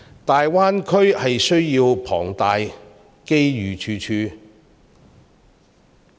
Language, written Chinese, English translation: Cantonese, 大灣區需求龐大，機遇處處。, The Greater Bay Area has huge demands and offers a lot of opportunities